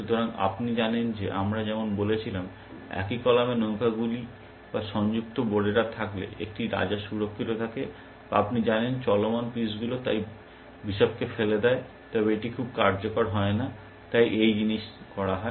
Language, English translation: Bengali, So, just as we said you know, rooks in the same column or connected pawns, a protected king or mobile pieces, so you know bishop is slap then it not very useful, hence things like that